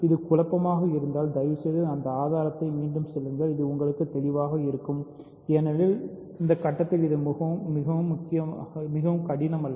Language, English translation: Tamil, So, if it is confusing please just go over this proof again and it should be clear to you because it is not very difficult at this point